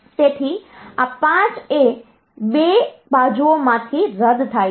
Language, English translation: Gujarati, So, this 5 cancels out from 2 sides